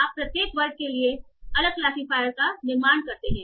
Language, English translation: Hindi, So each class is you are having separate classifiers